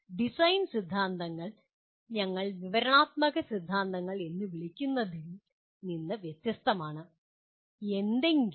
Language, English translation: Malayalam, Design theories are different from what we call descriptive theories